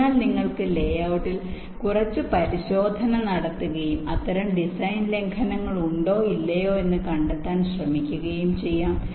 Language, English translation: Malayalam, so you can have some inspection in the layout and try to find out whether such design violations do exists or not